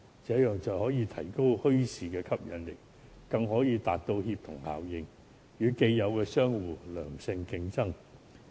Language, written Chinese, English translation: Cantonese, 這樣便可以提高墟市的吸引力，達到協同效應，令墟市可以與既有商戶作良性競爭。, This will enhance the attractiveness of bazaars achieve synergy and promote healthy competition between bazaar traders and the existing business operators